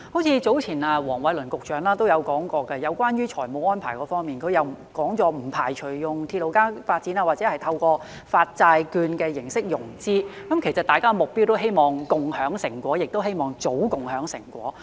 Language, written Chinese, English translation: Cantonese, 早前黃偉綸局長都說過在財務安排方面，不排除用鐵路加發展或透過發債券的形式融資，其實大家的目標都希望共享成果，也希望早共享成果。, Regarding the financial arrangements Secretary Michael WONG said some time ago that the Rail - plus - Property development model or the issuance of bonds would not be ruled out as financing options . In fact our common objective is to share the fruits of success and we also hope to share the fruits of success early